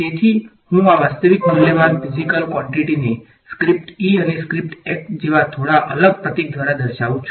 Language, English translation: Gujarati, So, I am denoting these real valued physical quantities by this slightly different symbol like a script E and script H